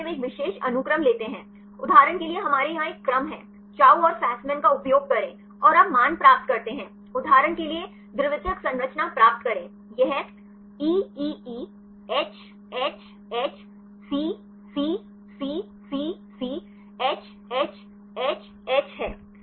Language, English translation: Hindi, In this case they take a particular sequence; for example we have one sequence here, use the Chou and Fasman and you get the values; get the secondary structures for example, this is E E E H H H H C C C C C H H H H